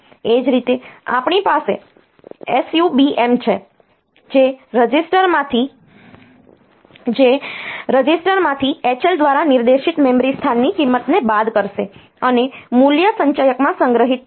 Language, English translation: Gujarati, Similarly, we have sub M which will subtract the value of memory location pointed to by H L from a register, and the value will be stored in the accumulator